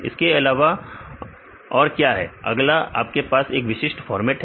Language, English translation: Hindi, Then what are the other; what are the next one you have the specific format